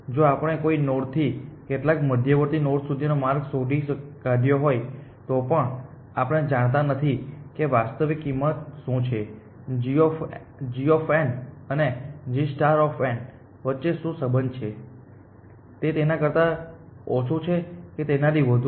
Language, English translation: Gujarati, Even if we have found the path from some node to some intermediate node, we do not know what the actual cost, what is a relation between g of n and g star of n, is it equal lesser than or greater than